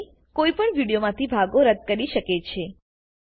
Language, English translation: Gujarati, In this way, one can delete portions from a video